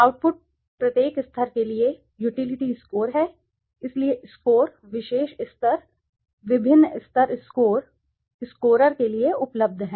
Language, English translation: Hindi, Outputs are the utility scores for each level so what does the score, the particular level, different levels the scores are available to the marketer